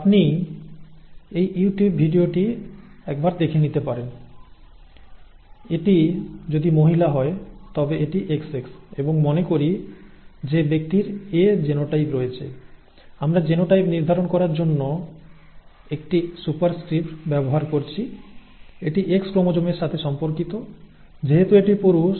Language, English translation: Bengali, You can take a look at this youtube video, if it is a female it is XX and let us say that the person has A and A A and A genotype there, we are using a superscript to determine the genotype, that is associated with the X chromosome